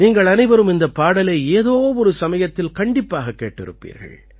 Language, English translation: Tamil, All of you must have heard this song sometime or the other